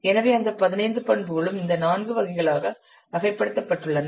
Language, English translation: Tamil, So all those 15 attributes are categorized into these four categories